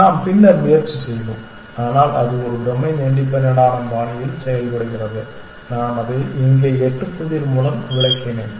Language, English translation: Tamil, We will try and come back to that later, but it is done in a domain independent fashion I just illustrated it with the eight puzzle here essentially